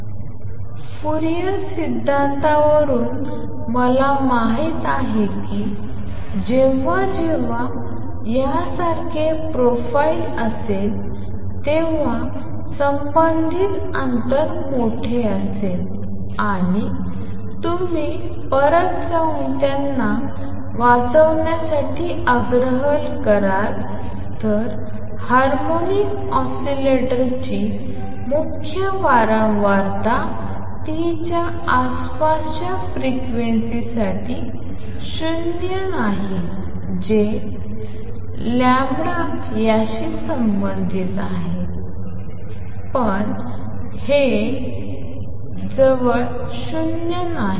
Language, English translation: Marathi, And from Fourier theory I know that whenever there is a profile like this the corresponding amplitude and you will urge you to go back and read them harmonic oscillator is nonzero for frequencies around the main frequency omega 0 which is related to this lambda as C over lambda, but this is non 0 near that omega 0 also with some spread right